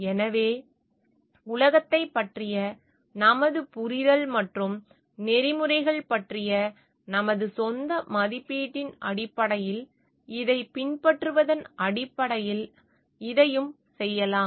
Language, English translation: Tamil, So, this also we can do based on adopt this based on our understanding of the world, and our own evaluation of ethics